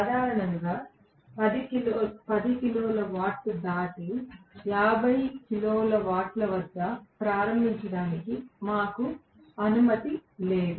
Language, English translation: Telugu, Generally, beyond 10 kilo watt we are not allowed to start, at the most 50 kilo watt